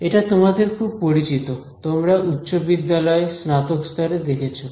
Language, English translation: Bengali, Something which is very familiar to you, you would have seen it in high school, undergrad alright